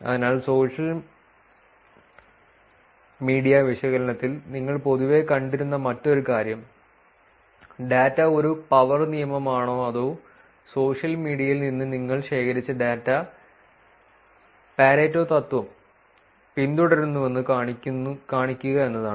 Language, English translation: Malayalam, So, one other things that you would have generally seen in social media analysis is to show whether the data is a power law or show over that the data that you have collected from social media follows the pareto principle